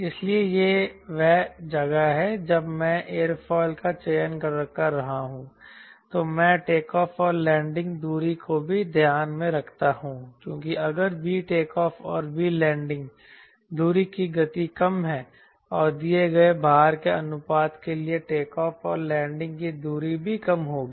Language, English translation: Hindi, so that is where, when we have selecting an aerofoil, i also keep in mind takeoff, a landing distance, because if v takeoff when v landing distance, ah speeds are less and for a given thrust to weight ratio, the takeoff and landing distance also will be less